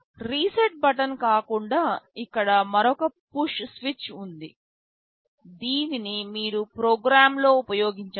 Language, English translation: Telugu, Other than the reset button there is another push switch here which you can use in a program